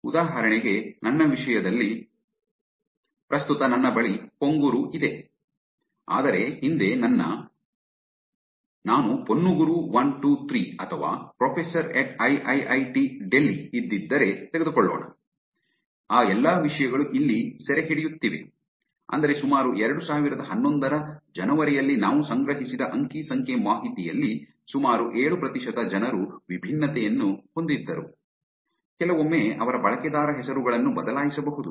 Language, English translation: Kannada, For example, in my case, currently I have Ponuguru, whereas in the past, let's take you if I would have had, Poniguru 1, 2, 3 or Professor at AAA Delhi, all those things are actually getting captured here, which means 7% of the people had different change their us and names sometimes the data that we collected in around January 2011